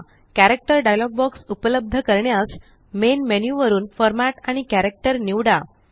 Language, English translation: Marathi, To access the Character dialog box from the Main menu, select Format and select Character